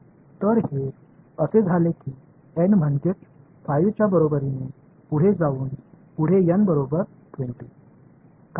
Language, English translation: Marathi, So, this is why N is equal to 5 as we went further to n equal to 20 what happened